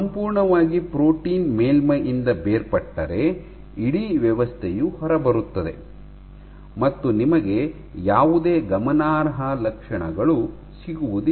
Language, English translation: Kannada, So, if the entire protein detaches from the surface then the entire thing will come off and you will not get any signature